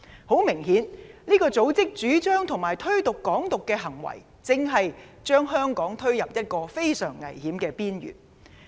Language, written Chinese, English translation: Cantonese, 很明顯，這個組織的主張和推動"港獨"的行為，正將香港推入一個非常危險的邊緣。, Obviously the advocacy and promotion of Hong Kong independence by this organization are pushing Hong Kong to a very dangerous edge